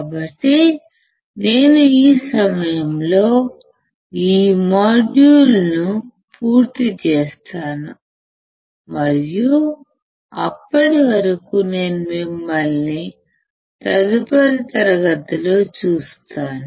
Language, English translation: Telugu, So, I will finish this module at this point, and I will see you in the next class till then you take care